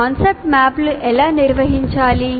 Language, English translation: Telugu, Now how do we organize the concept map